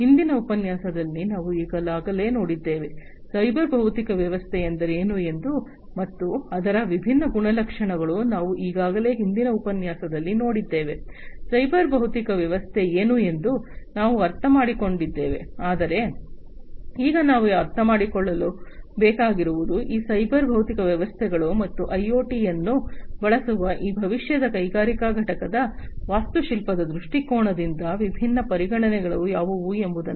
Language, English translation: Kannada, That we have already seen in a previous lecture, the different you know what is a cyber physical system, and the different properties of it, we have already seen in a previous lecture, we have understood what is cyber physical system is, but now we need to understand that what are the different considerations from an architectural view point for these futuristic industrial plant, which use these cyber physical systems and IOT